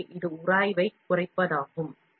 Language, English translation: Tamil, So, this is to reduce the friction